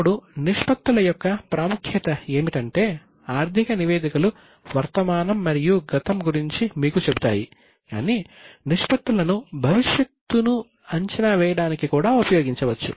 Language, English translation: Telugu, Now the importance of ratios is that the financial statements tell you about the present and the past but the ratios can be used even to project the future